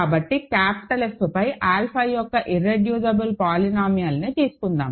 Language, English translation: Telugu, So, let us take the irreducible polynomial of alpha over capital f